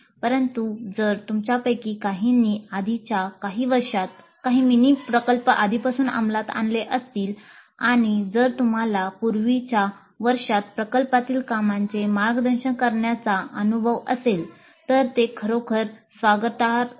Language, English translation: Marathi, But if some of you have already implemented some mini projects in the earlier years and if you do have an experience in mentoring project work in earlier years, that would be actually more welcome